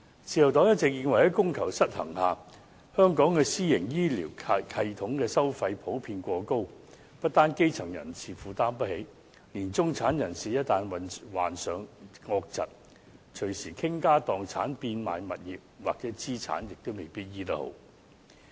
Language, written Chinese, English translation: Cantonese, 自由黨一直認為，在供求失衡下，香港的私營醫療系統的收費普遍過高，不單基層人士負擔不起，連中產人士一旦患上惡疾，隨時傾家蕩產、變賣物業或資產也未必能夠把病治癒。, The Liberal Party has all along considered that given the imbalance between demand and supply the fees charged under the private health care system in Hong Kong are generally too high . Not only are the grass - roots people unable to afford such fees even the middle - class people once having contracted a serious illness may be unable to have their illness cured even if they spend all their family fortunes and sell all their properties or assets